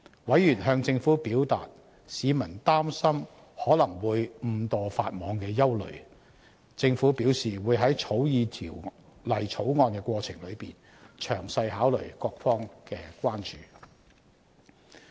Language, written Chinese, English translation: Cantonese, 委員向政府表達市民擔心可能會誤墮法網的憂慮，政府表示會在草擬《條例草案》的過程中，詳細考慮各方提出的關注。, Members relayed to the Government the public concern as many people were worried that they might breach the law unintentionally . The Government said that in drafting the Bill it would thoroughly consider the concerns raised by various parties